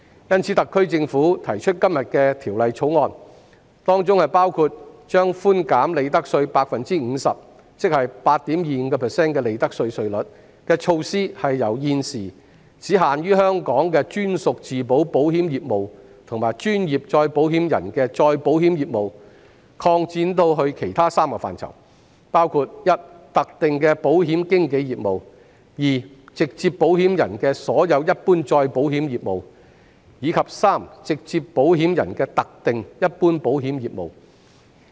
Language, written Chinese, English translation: Cantonese, 因此，特區政府提出《條例草案》，包括將寬減利得稅 50%， 即 8.25% 的利得稅稅率的措施，由現時只限於香港的專屬自保保險業務和專業再保險人的再保險業務，擴展至其他3個範疇，包括特定的保險經紀業務；直接保險人的所有一般再保險業，以及直接保險人的特定一般保險業務。, Therefore the SAR Government introduced the Bill to reduce profits tax rate by 50 % ie . 8.25 % and extend the coverage from the existing captive insurance business and reinsurance business of professional reinsurers to three other areas including selected insurance brokerage business all general reinsurance business of direct insurers as well as selected general insurance business of direct insurers